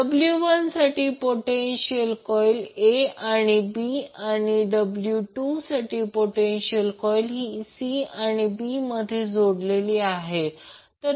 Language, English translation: Marathi, So for W 1 the potential coil is connected between a and b and for W 2 the potential coil is connected between c and b